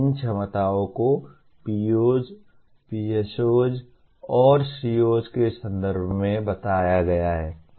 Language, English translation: Hindi, These abilities are stated in terms of POs, PSOs and COs